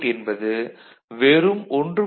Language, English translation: Tamil, 66 volt which is 3